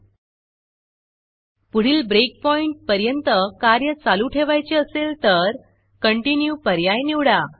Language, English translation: Marathi, If you want to continue the execution to the next breakpoint you can choose the Continue option